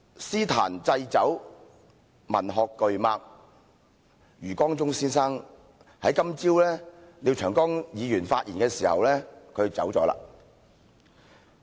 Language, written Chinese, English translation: Cantonese, 詩壇祭酒、文學巨擘余光中先生今早在廖長江議員發言時離世。, Mr YU Guangzhong a heavyweight in the poetry circle and a literary giant passed away this morning when Mr Martin LIAO was delivering his speech